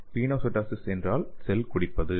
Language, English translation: Tamil, Pinocytosis means cell drinking